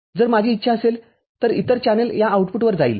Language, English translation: Marathi, If I wish the other channel will go to the output that will go